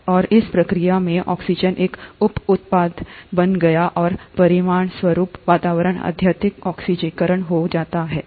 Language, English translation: Hindi, And in the process of this, oxygen became a by product and as a result the atmosphere becomes highly oxidized